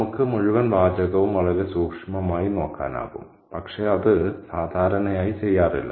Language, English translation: Malayalam, We can also look at the entire text really very closely, but that's not usually done